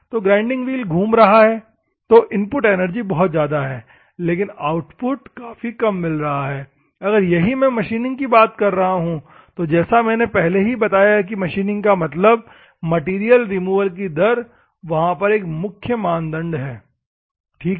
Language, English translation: Hindi, So, the grinding wheel rotating is a; so input energy is very high, but the output is very less if at all I am talking about machining, as I said earlier classes that the machining means material removal rate is a main criteria, ok